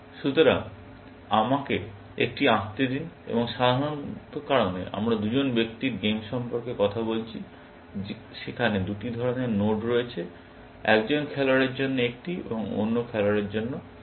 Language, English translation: Bengali, So, let me draw one, and typically, because we talking about two person games, there are two kinds of nodes; one for one player, and one, the other kind for the other player